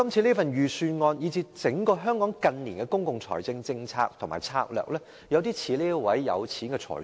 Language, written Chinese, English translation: Cantonese, 主席，預算案以至香港近年整體的公共財政政策和策略有點像這名有錢的財主。, President the Budget and even Hong Kongs overall public finance policy and strategy in recent years bear some resemblance to this rich man